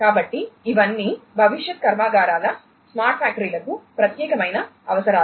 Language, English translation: Telugu, So, all of these are requirements specific to the smart factories of the factories of the future